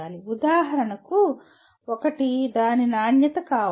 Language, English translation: Telugu, For example one may be its quality